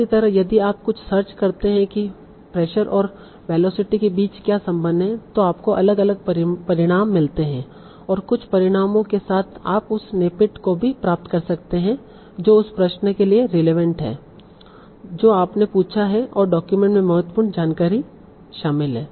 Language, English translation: Hindi, Similarly if you do some search what is the relation between pressure and velocity you get different different results and with some years you can also get the snippet that is relevant to the question that you will have asked and contains the important information from the document